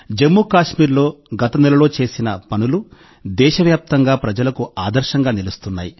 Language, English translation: Telugu, What Jammu and Kashmir has achieved last month is an example for people across the country